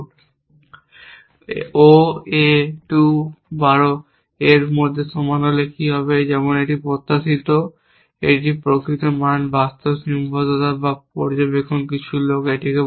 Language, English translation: Bengali, But, what happens if O A 2 is equal to 12, as expected this is the real value real constrain or observation some people would call it